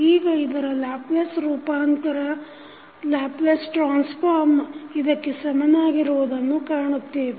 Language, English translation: Kannada, Now, the Laplace transform of this we saw equal to this